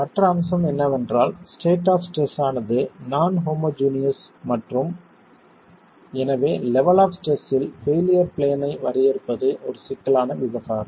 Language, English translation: Tamil, The other aspect is the state of stress is non homogeneous and therefore defining failure planes at the level of stress is a problematic affair